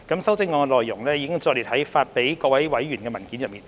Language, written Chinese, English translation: Cantonese, 修正案的內容已載列於發給各位委員的文件內。, Details of the CSAs have been set out in the paper distributed to Members